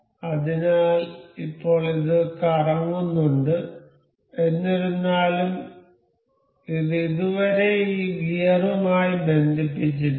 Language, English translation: Malayalam, So, now, this is also in rotating; however, this is not yet linked with this gear